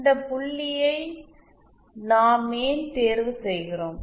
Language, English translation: Tamil, Why do we choose this point